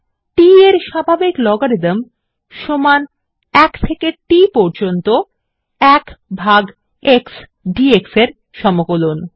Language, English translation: Bengali, The natural logarithm of t is equal to the integral of 1 by x dx from 1 to t